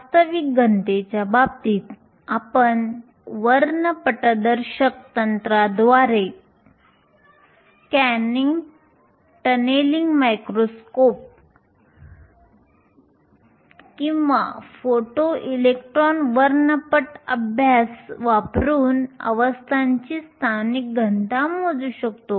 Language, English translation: Marathi, In the case of a real solid you can measure the local density of states by spectroscopic techniques as either a scanning tunnelling microscope or as using a photo electron spectroscopy